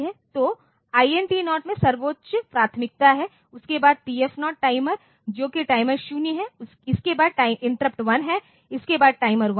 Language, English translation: Hindi, So, INT 0 has the highest priority followed by TF0 timer that is timer 0, followed by interrupt 1, followed by timer 1